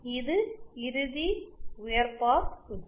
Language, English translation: Tamil, This is a final high pass circuit